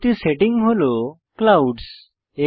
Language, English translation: Bengali, Next setting is Clouds